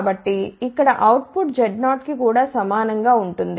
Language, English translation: Telugu, So, the output here will be also equal to Z 0